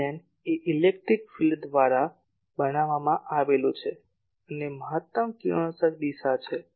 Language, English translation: Gujarati, E plane is the plane made by the electric field and the direction of maximum radiation